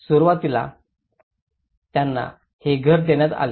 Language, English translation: Marathi, Initially, they were given these house